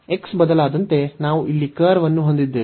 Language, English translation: Kannada, So, as the x varies, we have the curve here